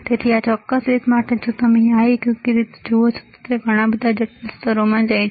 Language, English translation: Gujarati, So, for this particular same way if you see this one right, it goes to many more complex layers